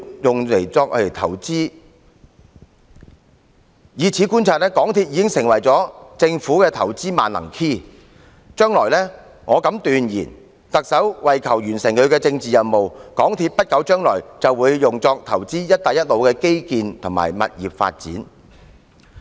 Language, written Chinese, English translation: Cantonese, 由此可見，港鐵公司已成為政府作出投資的"萬能 key"， 我敢斷言特首為求完成她的政治任務，在不久的將來還會利用港鐵公司投資"一帶一路"的基建和物業發展。, It can be seen that MTRCL has become the master key for the Government to make investments . I can assert that the Chief Executive seeking to accomplish her political missions will soon use MTRCL as a vehicle for making investments in infrastructure and property development projects under the Belt and Road Initiative